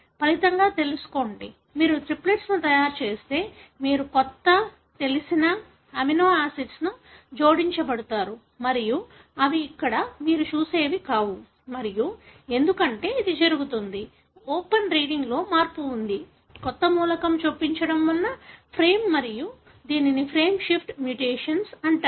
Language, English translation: Telugu, As a result, know, if you make the triplets, then you are going to find a new, know, amino acids being added and they are not what you see here and this is happening because of, there is a shift in the open reading frame because of the insertion of a new element and this is called as frame shift mutation